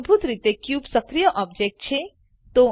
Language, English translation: Gujarati, By default, the cube is the active object